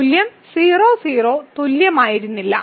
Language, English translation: Malayalam, So, the value was not equal at 0 0